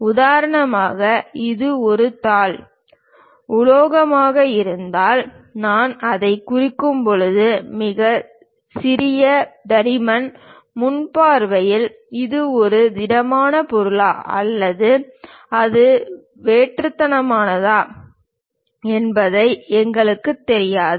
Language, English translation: Tamil, For example, if it is just a sheet metal, a very small thickness when we are representing it; at the front view, we do not know whether it is a solid object or it is a hollow one